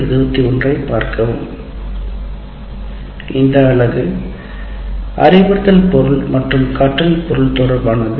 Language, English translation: Tamil, In this present unit, which is related to instruction material and learning material